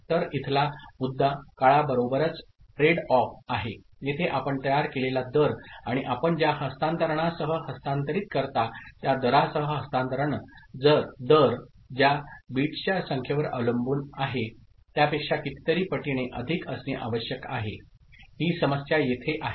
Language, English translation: Marathi, So, the issue here is trade off with the time that the rate with which you generate and the rate with which you transfer, with which you transfer is transfer rate, needs to be as many times more depending on number of bits that is getting to converted, clear